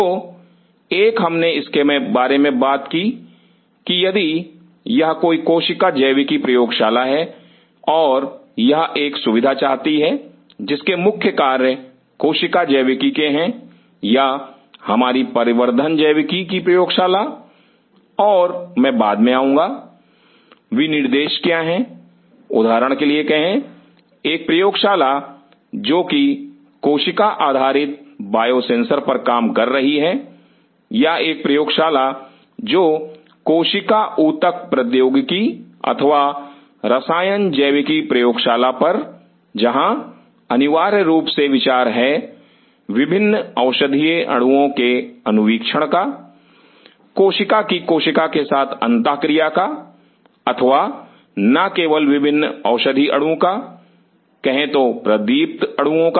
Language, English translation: Hindi, So, one we talked about if it is a cell biology lab and it wants to have a facility whose major work are cell biology or in our development biology lab and I will come later, what are the specification, say for example, a lab working on cell based biosensors or a lab working on cell tissue engineering or chemical biology lab where, essentially the idea is the screening different drug molecules, the interaction with cells with cell or not only drug molecule different say fluorescent molecules